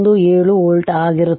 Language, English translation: Kannada, 817 volt right